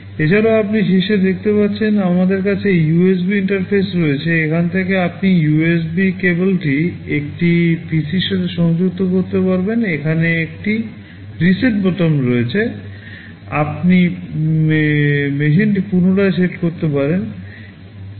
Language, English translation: Bengali, In addition you can see on top we have the USB interface, from here you can connect the USB cable you can connect it to the PC, there is a reset button sitting here you can reset the machine